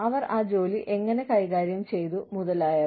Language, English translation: Malayalam, How they managed those jobs, etcetera